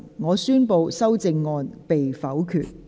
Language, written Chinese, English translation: Cantonese, 我宣布修正案被否決。, I declare the amendments negatived